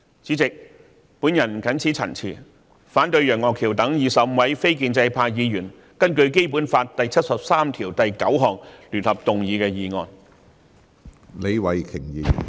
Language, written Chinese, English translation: Cantonese, 主席，我謹此陳辭，反對楊岳橋議員等25位非建制派議員根據《基本法》第七十三條第九項聯合動議的議案。, With these remarks President I oppose the motion jointly initiated by Mr Alvin YEUNG and 24 other non - pro - establishment Members under Article 739 of the Basic Law